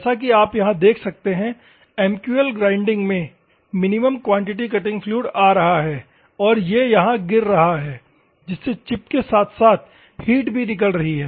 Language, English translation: Hindi, As you can see here, the MQL in grinding, the minimum quantity cutting fluid is coming and it is falling so that the heat which is going out, it will be taken wheat in the chip as well as work and other things